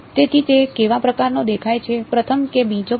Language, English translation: Gujarati, So, its what kind does it look like, first or second kind